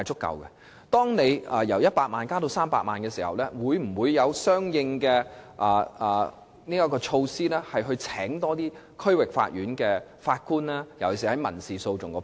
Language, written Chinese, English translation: Cantonese, 因此，在限額由100萬元提高至300萬元後，政府當局會否採取相應措施，聘請更多區域法院法官，尤其是審理民事訴訟的法官？, In this connection will the Administration take corresponding measures to recruit more District Court judges especially judges for handling civil litigations after the jurisdictional limit is increased from 1 million to 3 million?